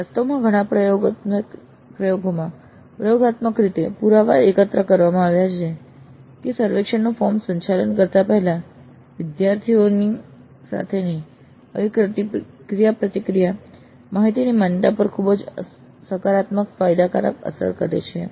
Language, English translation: Gujarati, In fact, in many of the experiments, empirically evidence has been gathered that such a interaction with the students before administering the survey form has very positive beneficial impact on the validity of the data